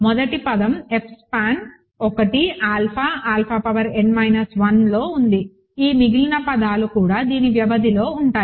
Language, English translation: Telugu, So, this the first term is in F span of 1, alpha, alpha power n minus 1, this remaining terms are also in the span of this